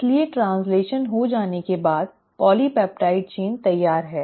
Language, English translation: Hindi, So once the translation has happened, polypeptide chain is ready